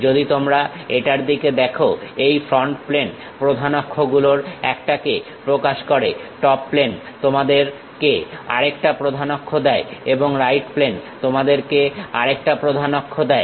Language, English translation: Bengali, If we are looking at this, the front plane represents one of the principal axis, the top plane gives you another principal axis and the right plane gives you another axis